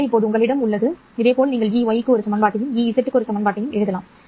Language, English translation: Tamil, So now you have, similarly you can write down one equation for EY as well as one equation for EZ